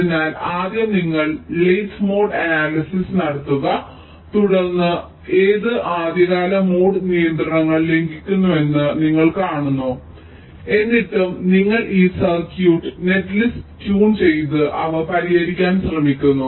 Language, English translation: Malayalam, so first you do the late mode analysis, then you see which of the early mode constraints are getting violate it still you try to tune this circuit netlist and trying to address them